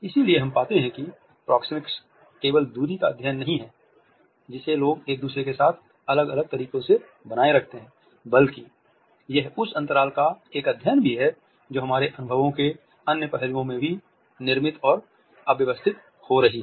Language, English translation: Hindi, So, we find that proxemics is not only a study of the distance, which people maintain with each other in different ways, but it is also a study of a space as it is being created and organized in other aspects of our experiences